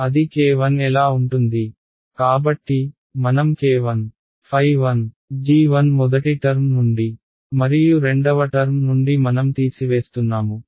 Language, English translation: Telugu, Ok so what will be the k 1, so, I will have a k 1 squared phi 1 multiplied by g 1 from the first term and from the second term I am subtracting them